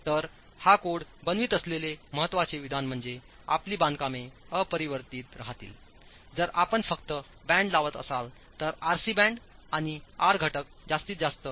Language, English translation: Marathi, So this is important statement that this code is making is your constructions will remain unreinforced if you are only introducing bands, RC bands and the R factors maximum can go up to 2